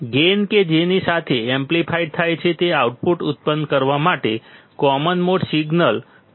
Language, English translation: Gujarati, The gain with which it amplifies is the common mode signal to produce the output